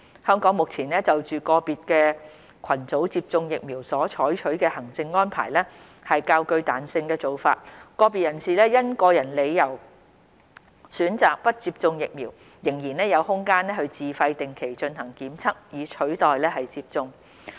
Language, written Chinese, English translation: Cantonese, 香港目前就個別群組接種疫苗所採取的行政安排是較具彈性的做法，個別人士因個人理由選擇不接種疫苗，仍然有空間自費定期進行檢測以取代接種。, In Hong Kong the current administrative arrangements for vaccination of particular groups are relatively flexible . Individuals who choose not to receive vaccination for personal reasons still have an option to undertake regular testing at their own expense in lieu of vaccination